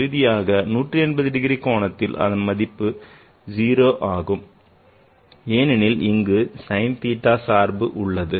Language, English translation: Tamil, And at 180 degrees also it is 0 because it's there is a function sine theta